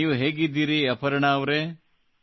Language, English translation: Kannada, How are you, Aparna ji